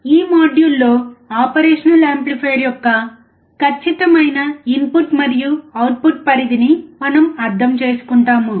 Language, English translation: Telugu, In this module, we will understand the exact input and output range of an operational amplifier